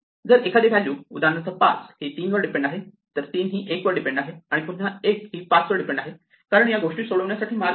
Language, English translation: Marathi, So, if one value it is like 5 depends on 3, 3 depends on 1, and 1 again depends on 5, because there will be no way to actually resolve this right